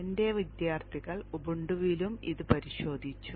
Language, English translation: Malayalam, My students have checked it out on Ubuntu also